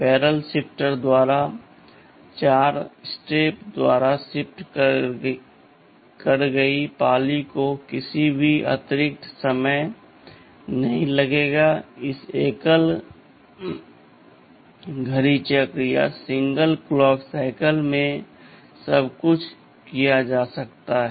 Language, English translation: Hindi, So shifted left by 4 positions will be done by the barrel shifter, it will not take any additional time, in that single clock cycle everything can be done